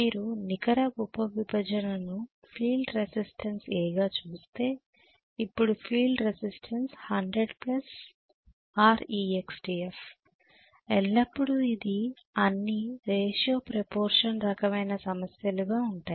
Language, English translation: Telugu, if you look at net sub division the field resistance as an A, so now the field resistance is 100 plus R external F right, always this is all proportion, ratio and proportion kind of problems most of them